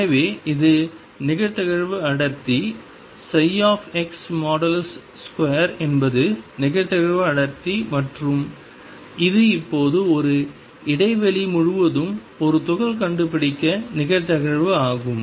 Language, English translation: Tamil, So, this is the probability density the psi x square is the probability density and this is the probability now probability of finding a particle all over spaces one